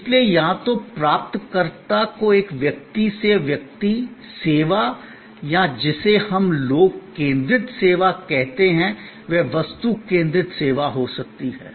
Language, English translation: Hindi, So, either services offered to the recipient as a person to person, service or what we call people focused service or it could be object focused service